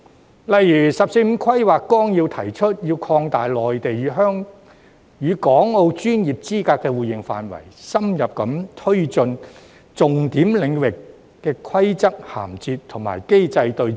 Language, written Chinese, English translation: Cantonese, 舉例而言，《十四五規劃綱要》提出，要擴大內地與港澳專業資格互認範圍，深入推進重點領域的規則銜接和機制對接。, For example the Outline of the 14th Five - Year Plan proposes to extend mutual recognition of professional qualifications between the Mainland and Hong Kong as well as Macao and strengthen regulatory interface and connectivity in key areas